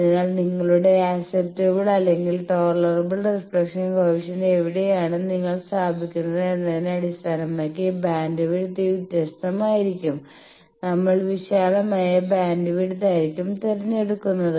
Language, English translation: Malayalam, So, here you see based on where you are putting your acceptable or tolerable reflection coefficient the bandwidth is different now obviously, we will prefer a wider bandwidth one